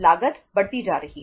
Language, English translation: Hindi, The cost is increasing